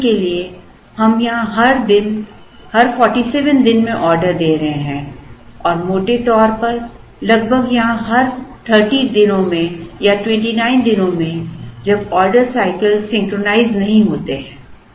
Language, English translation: Hindi, For example, we will be placing orders every 47 days here and roughly for about 30 days or 29 days in this one, when the order cycles do not synchronize